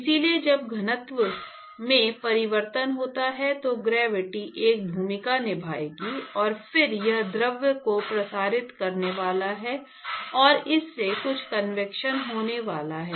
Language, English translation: Hindi, So, when there is change in the density, then gravity will play a role, and then it is going to make the fluid to circulate and that is going to cause some convection